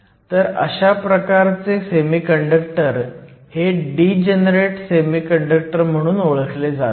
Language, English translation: Marathi, So, these types of semiconductors are called Degenerate Semiconductors